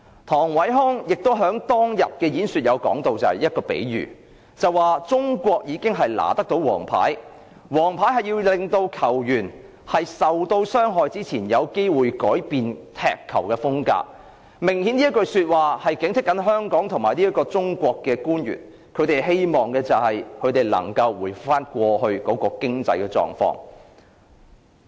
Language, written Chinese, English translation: Cantonese, 唐偉康亦在當日的演說提到一個比喻："中國已拿了黃牌，黃牌是要令球員在傷害別人前有機會改變踢球風格。"這句說話明顯是要警惕香港及中國的官員，希望能夠回復到過去的經濟狀況。, Yellow cards are an opportunity for a player to change their style of play before someone gets hurt which was a clear warning to Hong Kong and Chinese officials that the United States expected to restore the previous economic conditions